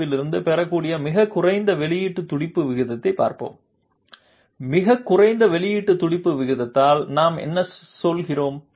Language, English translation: Tamil, So now let us look at the lowest output pulse rate that can be obtained from this DDA, what do we mean by lowest output pulse rate